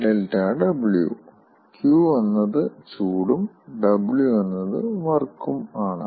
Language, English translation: Malayalam, q is heat and w is work